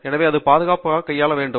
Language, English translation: Tamil, So it has to be handled safely